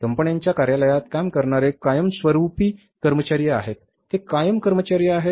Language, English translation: Marathi, There are the permanent employees who work in the offices of the companies and they are the permanent employees